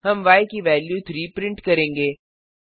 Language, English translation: Hindi, We print the value as 3